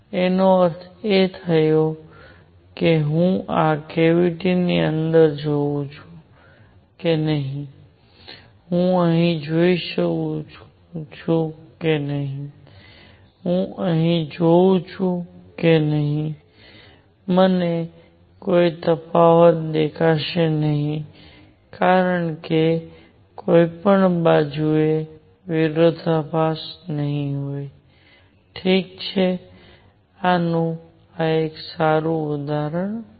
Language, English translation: Gujarati, That means whether I look inside this cavity, whether I see here, whether I see here, whether I see here, I will not see any difference because there will be no contrast from any side coming, alright, a good example of this